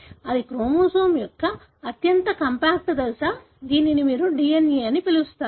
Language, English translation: Telugu, This is a very highly compact stage of the chromosome and this is what you call as DNA